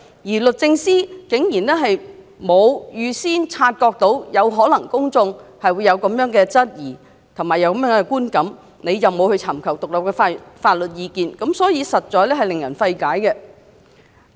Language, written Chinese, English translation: Cantonese, 此外，律政司竟然沒能預先察覺公眾或會因她沒有尋求獨立法律意見而有這樣的質疑和觀感，實在令人費解。, Moreover it is quite puzzling that the Secretary has failed to detect in advance that the public may have such doubts and perception as a result of her not seeking independent legal advice